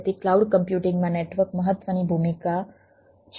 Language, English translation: Gujarati, so network is a important role in cloud computing